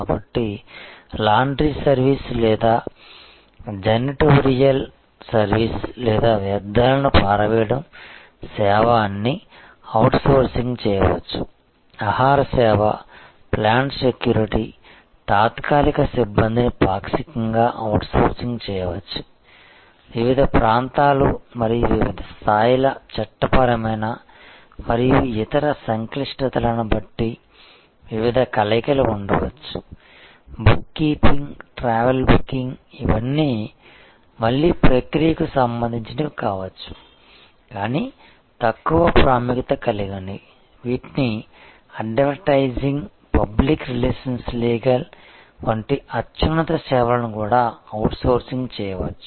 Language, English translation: Telugu, So, laundry service or janitorial service or waste disposal service all these can be outsourced, food service, plant security, temporary personnel could be partly outsourced partly shared there can be different blending depending on different regions and different levels of legal and other complexities, book keeping, travel booking all these can be again process related, but low importance, which can be outsourced even high end services like advertising, public relation legal these can be outsourced